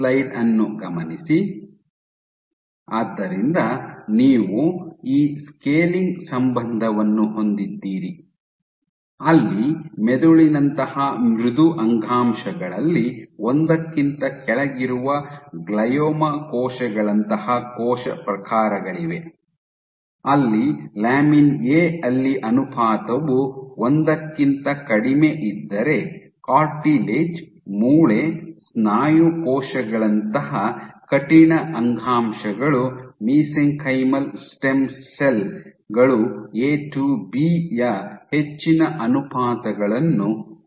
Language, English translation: Kannada, So, you have this scaling relationship, where below 1 here in soft tissues like brain soft tissues like brain you have cell types like glioma cells they would reside here where lamin A to be ratio is less than 1, while stiff tissues like cartilage, bone, muscle cells and even mesenchymal stem cells contain high ratios of A to B